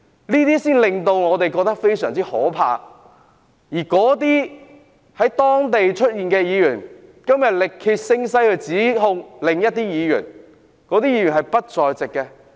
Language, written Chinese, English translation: Cantonese, 這才令我們感到非常害怕，而那些在現場出現的議員，今天力竭聲嘶地指控另一位議員，而那位議員是不在現場的。, This is what made us very frightened . Members who were at the scene shouted themselves hoarse today to accuse another Member who was not at the scene